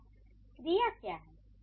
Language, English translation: Hindi, So, what is the verb here